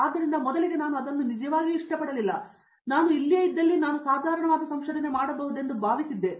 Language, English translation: Kannada, So, initially I did not really like it very much and I thought I might produce a mediocre research if I stay here